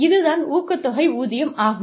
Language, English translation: Tamil, So, this is a pay incentive